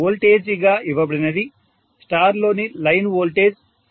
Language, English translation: Telugu, So, what is given as the voltages is 400 is the line voltage in Star